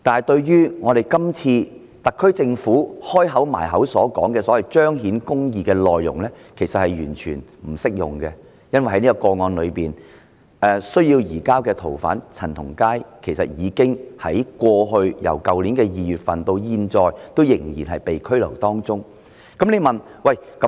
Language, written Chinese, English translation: Cantonese, 特區政府今次經常提到要彰顯公義，其實這一點是完全不成立的，因為在這宗個案中需要移交的逃犯陳同佳，自去年2月至今仍被拘留。, In fact this argument is totally untenable because CHAN Tong - kai the fugitive offender to be surrendered in the case concerned has been detained since February last year